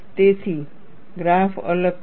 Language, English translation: Gujarati, So, the graph is different